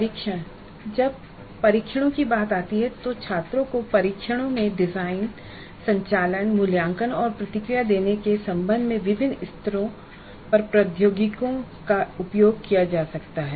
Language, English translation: Hindi, Then tests when it comes to test technologies can be used at different levels with regard to designing, conducting, evaluating and giving feedback in test to the students